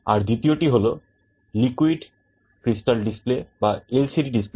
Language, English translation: Bengali, And, the second is the liquid crystal display display unit